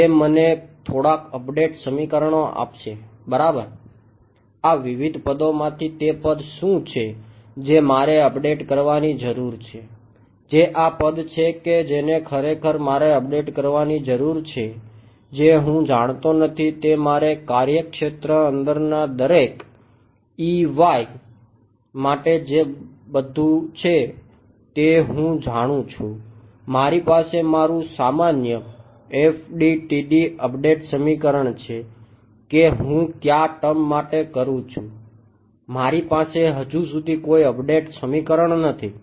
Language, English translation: Gujarati, What is the term that I need to update from these various terms which is the term that I really need to update which I do not know I mean everything else I know for every E y inside the domain I have my usual FDTD update equation for what term I do I do not have an update equation so far